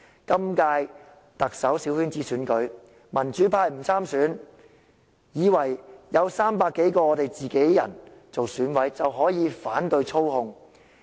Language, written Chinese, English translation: Cantonese, 今屆特首小圈子選舉，民主派不派人參選，以為有300多個"自己人"做選舉委員會委員就能反操控。, In the small - circle election of the Chief Executive the pro - democracy camp not having any candidate to stand in the election thought they could resist the control as there are 300 of their own people in the Election Committee